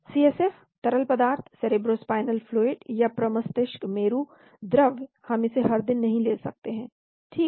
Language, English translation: Hindi, CSF fluid , cerebrospinal fluid we cannot take it every day right